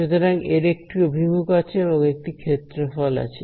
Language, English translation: Bengali, So, it has some direction and it has some area ok